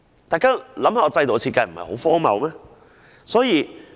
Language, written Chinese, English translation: Cantonese, 大家想想，這制度的設計不是很荒謬嗎？, Can we not tell that it is such a ridiculous system design?